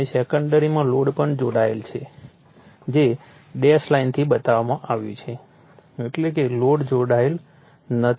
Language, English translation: Gujarati, And in the secondary load is also connected, but shown in dash line; that means, load is not connected